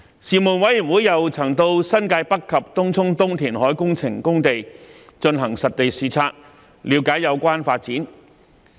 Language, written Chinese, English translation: Cantonese, 事務委員會又曾前往新界北及東涌東填海工程工地進行實地視察，了解有關發展。, The Panel also conducted site visits to the New Territories North and the Tung Chung East Reclamation Site to learn about the development